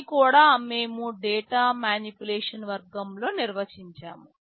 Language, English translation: Telugu, This also we are defining under the data manipulation category